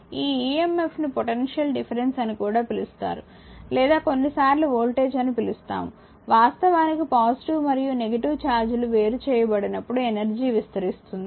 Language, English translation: Telugu, This emf is also known as potential difference or we call sometimes voltage right, actually whenever positive and negative charges are separated energy is expanded